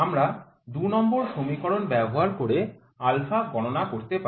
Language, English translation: Bengali, We can calculate alpha using the equation number 2